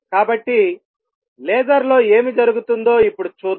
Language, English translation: Telugu, So, let us see now what happens in a laser